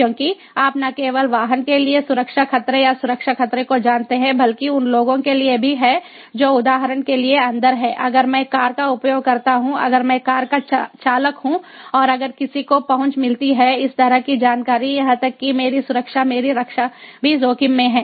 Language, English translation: Hindi, a safety threat, ah, because you know, not only safety threat or security threat to the vehicle itself, but also to the people who are inside, like, for example, if i am the user of the car, if i am the driver of the car, and if somebody gets access to this kind of information, even my safety, my security, is also at risk